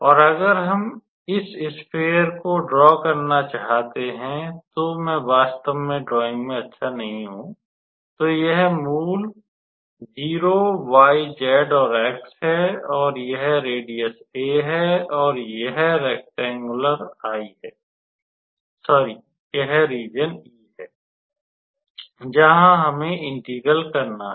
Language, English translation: Hindi, And if we want to draw this sphere, so I am not a really good how to say really good at drawing, so this is basically 0, y, z, and x, so that is my radius a, and this rectangular I sorry this is this region E, where we have to perform the integral